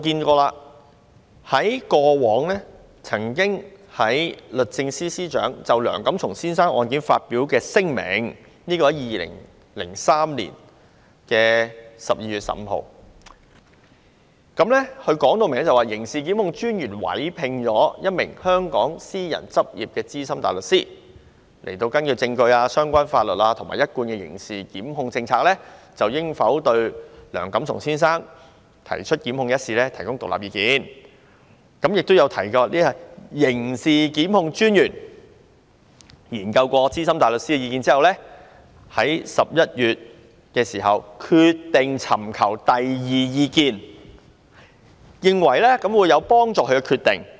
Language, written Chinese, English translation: Cantonese, 過往律政司司長曾就梁錦松先生案件發表聲明，在2003年12月15日，明確表示刑事檢控專員委聘了一名香港私人執業的資深大律師，根據證據、相關法律和一貫的刑事檢控政策，就應否對梁錦松先生提出檢控一事提供獨立意見，也有提及刑事檢控專員在研究資深大律師的意見後，在11月決定尋求第二意見，認為有助他作出決定。, Regarding Mr Antony LEUNGs case the Secretary for Justice issued a statement on 15 December 2003 clearly stating that DPP had engaged the service of a private member of the Bar in Hong Kong on the case . The senior counsel having considered the evidence the points of law and the established prosecution policy provided independent advice on the issue of whether a prosecution should be instituted against Mr Antony LEUNG . The statement also mentioned that DPP after considering senior counsels advice decided that seeking a second opinion would be beneficial